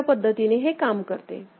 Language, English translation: Marathi, So, that is how it works